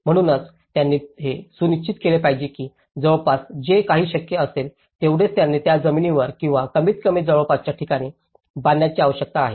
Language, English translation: Marathi, So, they have to ensure that whatever the land the nearest possible vicinity so, they need to build on the same land or at least in the nearby vicinity